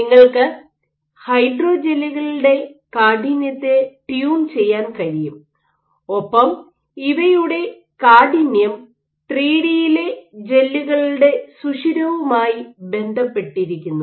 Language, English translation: Malayalam, So, you can have hydrogels, where you can tune the stiffness of the hydrogels and stiffness is closely tied to porosity of the gels in 3D